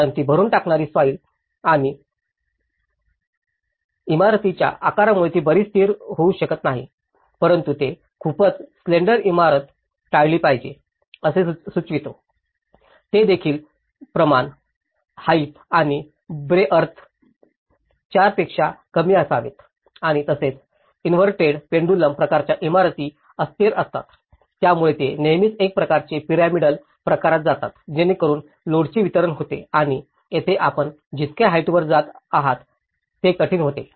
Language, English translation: Marathi, Because the forces it cannot be very much stabilized because of that fill soil and the shape of the building, they also suggest that very slender building should be avoided so, they also talk about the ratio, height and breadth should be less than four and also the inverted pendulum type buildings are unstable so, they always go with a kind of pyramidal type so the load is distributed and whereas, here it becomes difficult the more height you are going up, it becomes difficult